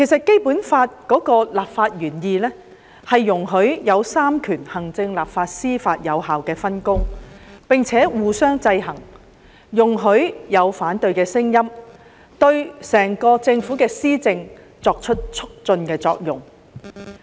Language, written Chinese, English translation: Cantonese, 《基本法》的立法原意，容許行政、立法、司法三權作有效的分工，並且互相制衡，容許有反對的聲音，對整個政府的施政產生促進的作用。, The original legislative intent of the Basic Law allows an effective division of work among the executive authorities the legislature and the judiciary as well as checks and balances among the three . It allows opposition voices which will facilitate policy implementation by the Government as a whole